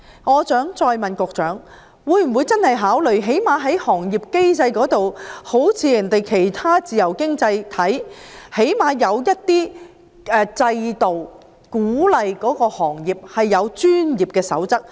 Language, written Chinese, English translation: Cantonese, 我想再問局長，會否考慮最少在行業機制方面，像其他自由經濟體般設立某些制度，鼓勵有關行業訂定專業守則？, Let me put this question to the Secretary again will consideration be given to at least establishing a certain mechanism as in the case of other free economies to encourage the industry to establish its code of practice?